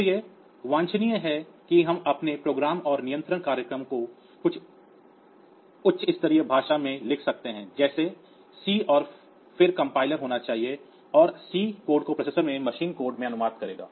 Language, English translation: Hindi, So, it is desirable that we can write our program our control program in some high level language like say C and then the compiler should be there which will translate this C code into the machine code of the processor